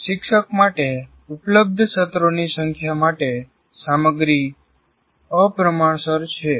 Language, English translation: Gujarati, Content is disproportionate to the number of sessions that are available to the teacher